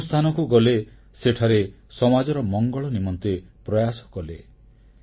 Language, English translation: Odia, Wherever he went, he took many initiatives for the welfare of the society